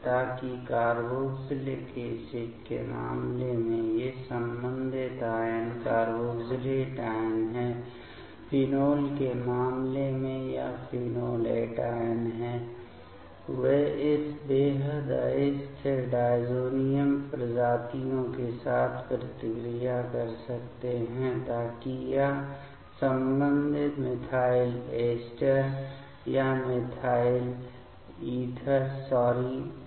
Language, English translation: Hindi, So that these corresponding anion in case of in carboxylic acid it is the carboxylate anion, in case of phenol it is the phenolate anion they can react with this extremely unstable diazonium species to give it is corresponding methyl ester or methyl ether sorry